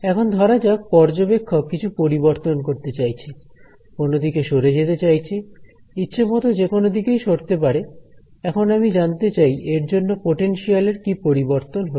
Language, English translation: Bengali, Now, let say that this observer wants to change in some wants to move in some direction and this direction could be arbitrary and I want to know how does the potential change